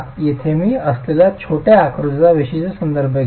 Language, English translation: Marathi, Here let me make specific reference to the small figure that is there